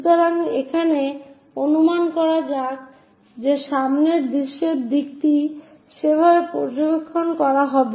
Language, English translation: Bengali, So, here let us assume that front view direction is observed in that way